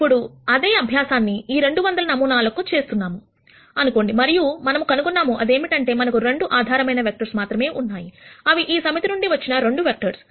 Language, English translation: Telugu, Now, let us assume we do the same exercise for these 200 samples and then we nd that, we have only 2 basis vectors, which are going to be 2 vectors out of this set